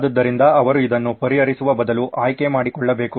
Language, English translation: Kannada, So they had to pick instead of solving this